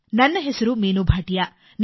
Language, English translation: Kannada, My name is Meenu Bhatia